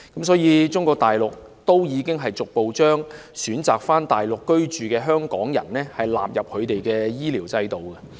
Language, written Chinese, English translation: Cantonese, 所以，國家已逐步將選擇返回內地居住的香港人納入他們的醫療制度。, Hence the country has progressively included Hong Kong residents who choose to reside in the Mainland into its health care regime